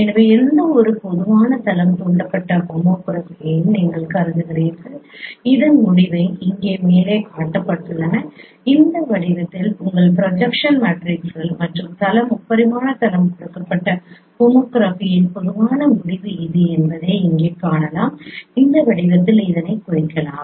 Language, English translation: Tamil, So you consider any general plane induced homography which is the results are shown here at the top here you can see that this is the general result of homography given your projection matrices in this form and also the plane three dimensional plane the representation in this form